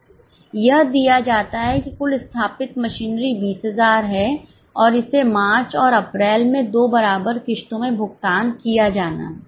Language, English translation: Hindi, It is given that total machinery installed is 20,000 and it is to be paid in two equal installments in March and April